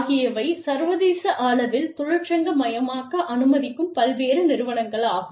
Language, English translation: Tamil, So, various organizations, that allow for unionization, internationally